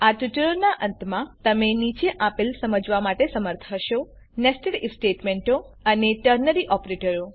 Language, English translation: Gujarati, By the end of this tutorial you should be able to: Explain Nested If Statements and Ternary operators